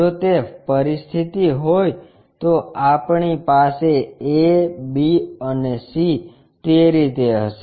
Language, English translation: Gujarati, If that is a situation we will have a, b and c will be in that way